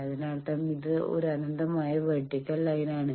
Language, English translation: Malayalam, That means, this is an infinite line extend vertical lines